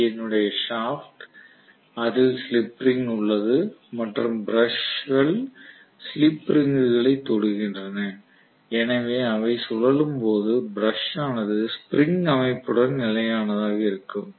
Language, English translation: Tamil, on that there is slip ring and the brushes are just touching the slip ring so as they rotate the brushes going to be held stationary with the spring arrangement